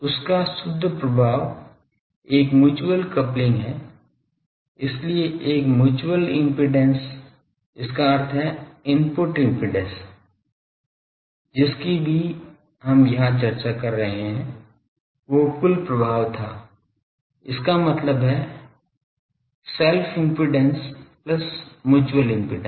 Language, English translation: Hindi, The net effect of that is a mutual coupling so, a mutual impedance so, that means, input impedance, whatever we are discussed here that was the total effect; that means, self impedance plus mutual impedance